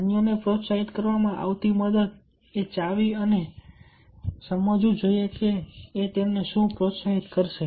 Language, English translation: Gujarati, the key to helping to motivate others is to understand what motivates them